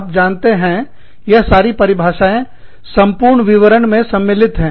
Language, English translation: Hindi, You know, all these definitions, encompass a whole lot of detail